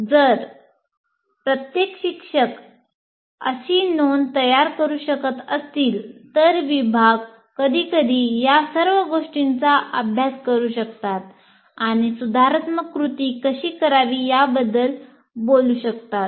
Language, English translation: Marathi, If every teacher can prepare that, then the department at some point of time can pool all this and talk about how to take corrective action for that